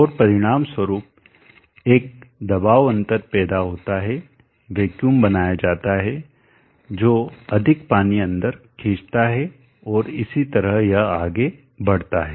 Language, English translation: Hindi, And as a result a pressure difference is created vacuum is created which will suck in more water and so on it goes